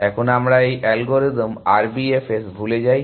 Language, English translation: Bengali, Let us forget this algorithm RBFS